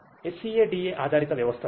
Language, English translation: Telugu, SCADA based systems